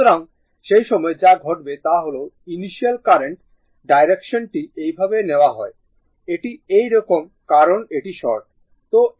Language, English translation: Bengali, So, at that time what will happen your initial current this current direction is taken like this; that means, it is like this; that means, it is like this because it is short